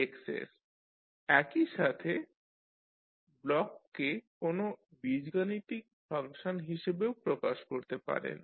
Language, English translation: Bengali, At the same time you can represent the block as an algebraical function